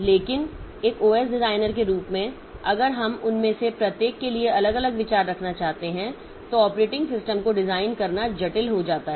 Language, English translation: Hindi, So, but as an OS designer, so if we want to have different different views for each of them, so designing operating system becomes complex